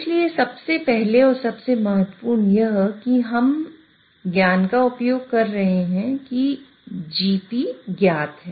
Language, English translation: Hindi, So first and foremost is here we are using the knowledge that GP is known